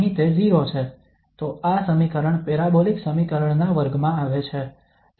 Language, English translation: Gujarati, Here it is 0 so this equation falls into the class of parabolic equation